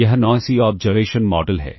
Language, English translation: Hindi, This is the noisy observation model